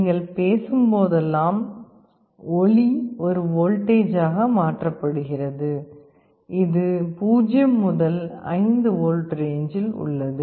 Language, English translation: Tamil, Whenever you are speaking sound is being converted into a voltage, which is in the 0 to 5 volts range